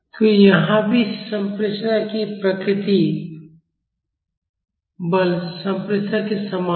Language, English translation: Hindi, So, here also the nature of transmissibility is similar to the force transmissibility